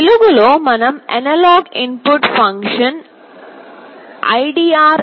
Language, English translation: Telugu, In the light we are using the analog input function ldr